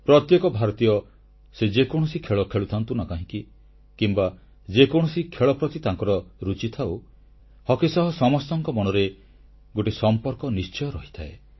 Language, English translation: Odia, Each Indian who plays any game or has interest in any game has a definite interest in Hockey